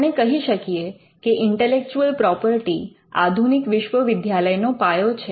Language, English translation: Gujarati, You can say that intellectual property is the foundation of the new university